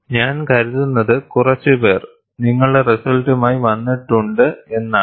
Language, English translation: Malayalam, I think quite a few, you, you have come with your result